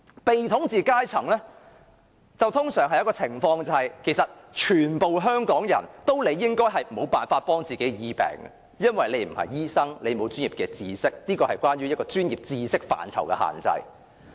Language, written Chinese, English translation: Cantonese, 被統治階層通常出現的情況，是所有香港人理應無法自醫，因為他們並非醫生，沒有這方面的專業知識，這是關乎專業知識範疇的限制。, As a general phenomenon faced by the ruled there should be no way for Hong Kong people to cure themselves because they are not doctors and lack the professional knowledge to do so and this is a restriction in professional knowledge